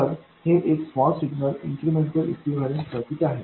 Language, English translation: Marathi, So, this is the small signal incremental equivalent circuit